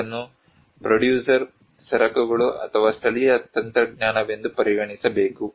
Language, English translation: Kannada, This should be considered as a producer goods or local technology